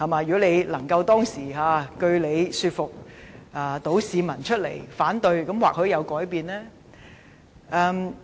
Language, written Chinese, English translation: Cantonese, 如果他當時能據理說服市民出來反對，或許結果會有所改變。, Had he been able to persuade the public to come forward to oppose the decision with his justifications the consequence might have been different